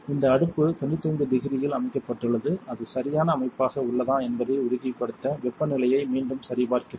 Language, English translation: Tamil, This oven is set at 95 degrees and again I would check with the temperature to make sure it is a right setting